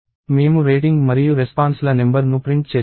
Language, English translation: Telugu, So, we print rating and the number of responses